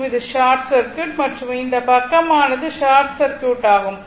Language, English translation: Tamil, This is short circuit and this side as it is short circuit